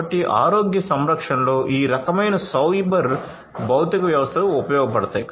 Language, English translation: Telugu, So, that is where you know in healthcare this kind of cyber physical systems can be useful